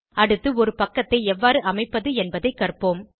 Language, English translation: Tamil, Next lets see how to setup a page